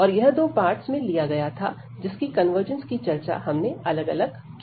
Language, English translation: Hindi, And this was taken into two parts, and we have discussed each separately for the convergence